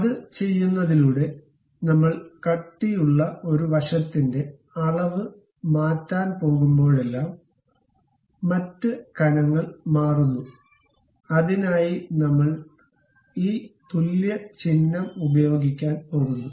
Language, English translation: Malayalam, By doing that, whenever I am going to change dimension of one side of the thickness; the other thickness also changes, for that purpose we are going to use this equal symbol